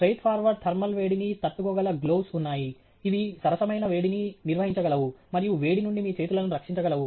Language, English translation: Telugu, Straight forward thermal capability gloves are there which can handle fair bit of heat and protect your hands from the heat